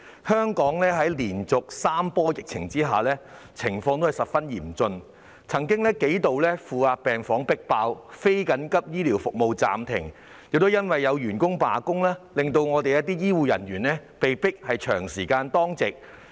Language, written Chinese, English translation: Cantonese, 香港在連續3波疫情下，情況亦十分嚴峻，負壓病房曾幾度迫爆，非緊急醫療服務也須暫停，亦因為有員工罷工，令一些醫護人員被迫長時間當值。, The situation in Hong Kong which has been hit by three epidemic waves in a row is also very critical . The isolation wards have been overloaded on several occasions whereas non - emergency medical services have to be suspended as well . Some healthcare staff were forced to stay on duty for a prolonged period of time due to a strike